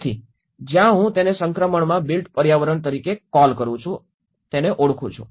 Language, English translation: Gujarati, So that is where I call it as built environments in transition